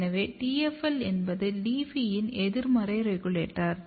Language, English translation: Tamil, So, since TFL is a negative regulator of LEAFY